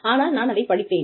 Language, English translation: Tamil, But, I have studied it